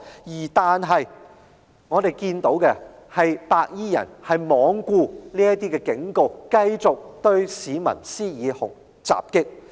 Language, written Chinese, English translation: Cantonese, 不過，我們看到的，是白衣人罔顧警告，繼續對市民施以襲擊。, This was an objective fact . But as we can see those white - clad gangsters paid no heed to his warning and continued their attack on people